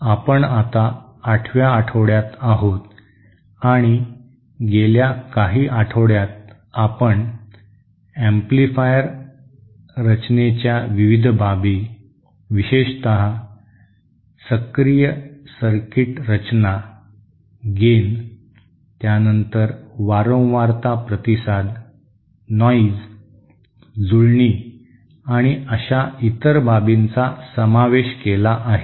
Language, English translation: Marathi, We are now in week eight and in the past few weeks we have been covered covering the various aspects of amplifier design, especially active circuit design like gain, then the frequency response then noise, matching and other things like that